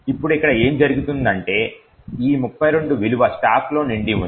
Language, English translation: Telugu, Now what happens here is that this value of 32 that’s filled in the stack